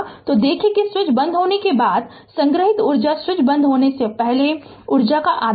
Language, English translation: Hindi, So, we see that the stored energy after the switch is closed is half of the value before switch is closed right